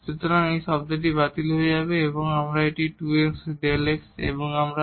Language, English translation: Bengali, So, this term get cancelled and we will get a 2 x into delta x and delta x square